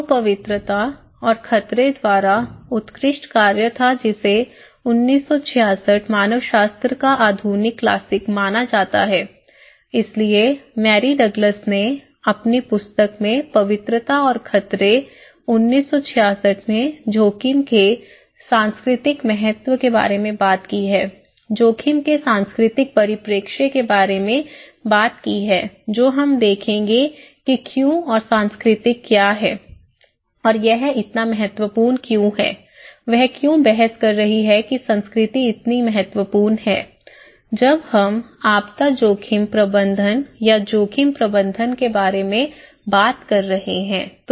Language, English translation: Hindi, So, there was an outstanding work by Purity and Danger, 1966 considered to be modern classic of anthropology, so Mary Douglas in her book in 1966, Purity and Danger is talking about the cultural importance of risk, the cultural perspective of risk that we would look into why, what is culture and why it is so important, what why she is arguing that culture is so important when we are talking about disaster risk management or risk management